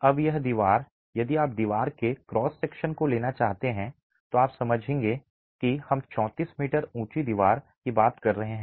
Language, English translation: Hindi, Now this wall if you were to take the cross section of the wall, you will understand that we are talking of a 34 meter high wall